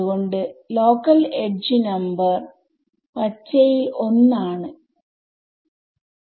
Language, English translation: Malayalam, So, the local edge number is T is 1 in green right